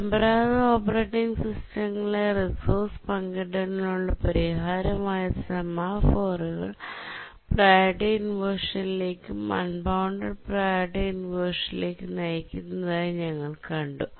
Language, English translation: Malayalam, And we have seen that the traditional operating system solution to resource sharing, which is the semaphores, leads to priority inversions and unbounded priority inversions